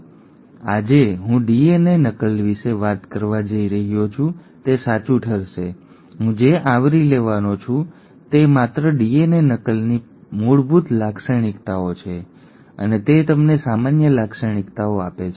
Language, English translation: Gujarati, Now what I am going to talk today about DNA replication is going to hold true, what I am going to cover is just the basic features of DNA replication and just give you the common features